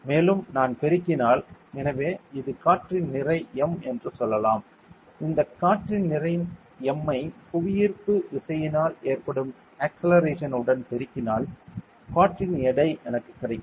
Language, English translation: Tamil, And if I am multiplied with; so this is the mass of air say m and if I multiply this mass with the acceleration due to gravity then I get the weight of air ok